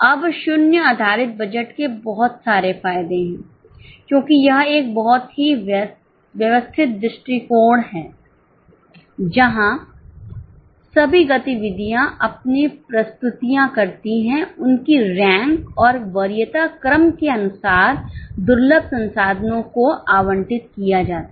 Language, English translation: Hindi, Now, there are a lot of advantages of zero based budget because this is a very systematic approach where all the activities make their presentations, they are ranked, and as per the order of preference, scarce resources are allocated